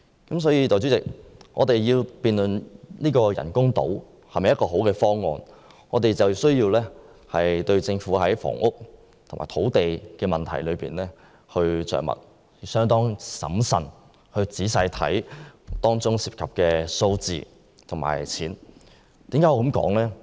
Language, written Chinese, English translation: Cantonese, 代理主席，我們若要辯論人工島是否一個好方案，便需要在政府處理房屋和土地問題的工作方面着墨，審慎仔細地看看當中涉及的數字和金額。, Deputy President when we debate whether the artificial islands project is a good idea we need to look at the Governments handling of housing and land problems and then carefully examine the data and amounts of money involved